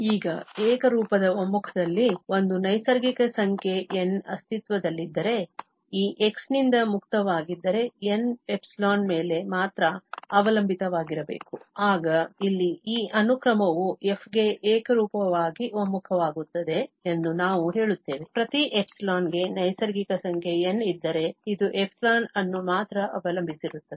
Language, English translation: Kannada, Now, in the uniform convergence, if there exist a natural number N free from this x, so, N must depend only on epsilon, then, we say that this sequence here converges uniformly to f, if for each epsilon there is a natural number N which depends on epsilon only